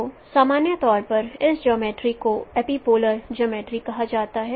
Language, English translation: Hindi, So this geometry in general is referred as epipolar geometry